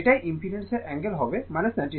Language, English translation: Bengali, That is angle of impedance will be minus 90 degree